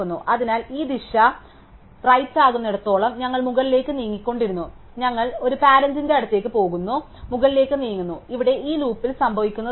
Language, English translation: Malayalam, So, long as this direction is right, we keep moving up's we go to one more parent and we move t up, so that is what happening in this loop here